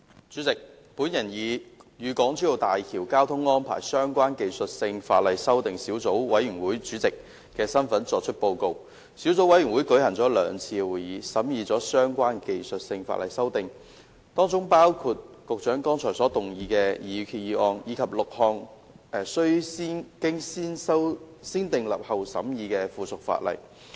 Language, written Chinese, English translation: Cantonese, 主席，我以"與港珠澳大橋交通安排相關的技術性法例修訂小組委員會"主席的身份作出報告。小組委員會舉行了兩次會議，審議相關的技術性法例修訂，當中包括局長剛才所動議的擬議決議案，以及6項須進行"先訂立後審議"程序的附屬法例。, President I report in my capacity as Chairman of the Subcommittee on Technical Legislative Amendments on Traffic Arrangements for the Hong Kong - Zhuhai - Macao Bridge which has held two meetings to scrutinize the relevant technical legislative amendments including the proposed resolution moved by the Secretary just now and six items of subsidiary legislation subject to the negative vetting procedure